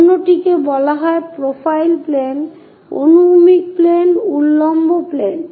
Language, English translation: Bengali, The other one is called profile plane, horizontal plane, vertical plane